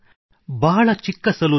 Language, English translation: Kannada, A very small salon